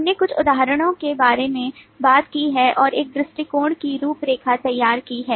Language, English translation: Hindi, we have talked about some examples and outlined an approach from this module